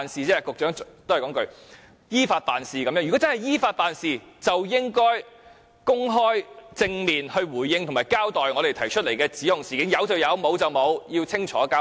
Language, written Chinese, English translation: Cantonese, 如真的是依法辦事，便應該公開、正面回應及交代我們提出的指控事件，有便是有，沒有便是沒有，要清楚交代。, If they truly wish to act according to the law they should openly and candidly respond and account for the incidents raised by us . They should unequivocally explain if the allegations were true